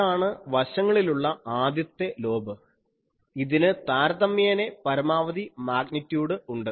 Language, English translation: Malayalam, So, this is the a first side lobe relative maximum magnitude for this